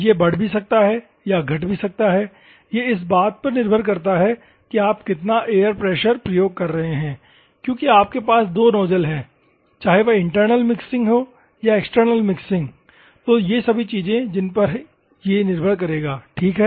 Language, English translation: Hindi, It can increase or it can also decrease depending on how much air pressure that you are using because you have two nozzles whether it is internal mixing or external mixing, all these things will come up, ok